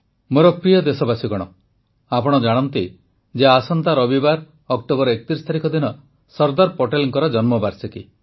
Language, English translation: Odia, you are aware that next Sunday, the 31st of October is the birth anniversary of Sardar Patel ji